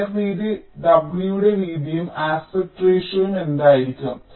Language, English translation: Malayalam, what will be the thickness, t of the wire, width, w and the aspect ratio also